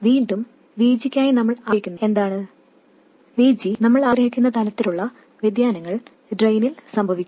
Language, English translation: Malayalam, Again, what we desire for VG, the kind of variation we want for VG is happening at the drain